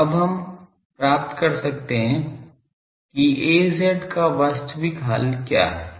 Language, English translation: Hindi, So, we can now find that actual solution is Az is what